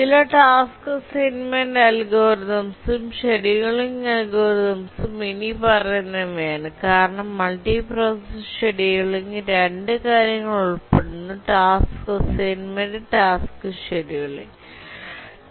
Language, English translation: Malayalam, Now let's look at some task assignment algorithms and then we'll see the scheduling algorithms because the multiprocessor scheduling consists of two things the task assignment and also the task scheduling once they have been assigned to a processor